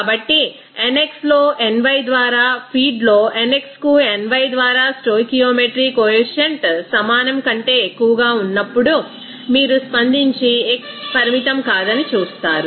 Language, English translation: Telugu, So, if nx by ny in the feed is greater than equals to nx by ny in the stoichiometry coefficient, then you will see that react and x will not be limiting